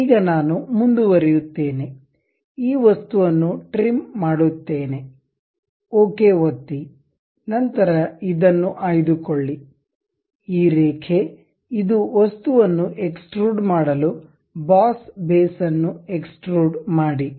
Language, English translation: Kannada, Now, I will go ahead trim this object, click ok; then pick this one, this line, this one, this one to extrude the object, extrude boss base